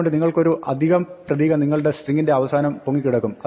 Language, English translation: Malayalam, So, you have to remember that you have the extra character floating around at the end of your string